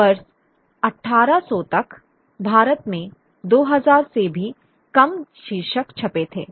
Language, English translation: Hindi, There were less than 2,000 titles printed in India by the year 1800